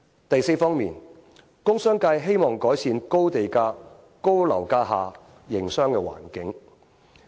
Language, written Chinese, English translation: Cantonese, 第四方面，工商界希望改善高地價、高樓價下的營商環境。, Fourth the commerce and industry sector wishes to see an improvement in business environment under expensive land premiums and high property prices